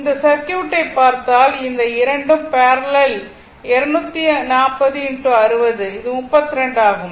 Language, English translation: Tamil, So, these 2 are in parallel 240 into 60 and this is 32